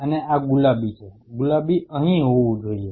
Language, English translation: Gujarati, And these are say pink, pink should be here